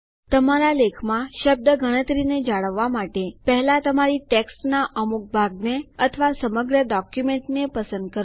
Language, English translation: Gujarati, For maintaining a word count in your article, first select a portion of your text or the entire document